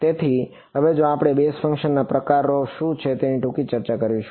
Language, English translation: Gujarati, So, now like we will have a brief discussion of what are the kinds of basis functions